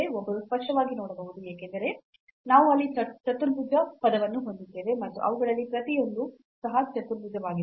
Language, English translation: Kannada, One can clearly see because we have this quadratic term there and each of them is also quadratic